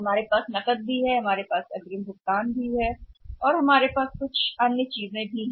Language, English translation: Hindi, We have cash also you have advance payment also we have some other things also